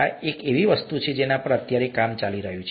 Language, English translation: Gujarati, This is something that is being worked on right now